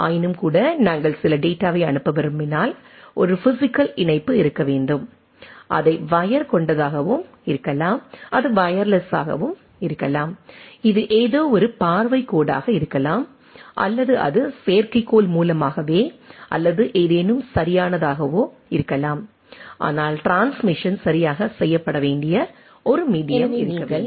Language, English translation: Tamil, Nevertheless, if you see where if we want to send some data there should be a physical connectivity; it can be wired, it can be wireless, it can be something line of sight or it can be through satellite or something right, but there should be a medium by which the transmission should be done right